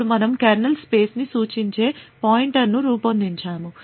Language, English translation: Telugu, Now let us say that we craft a pointer which is pointing to the kernel space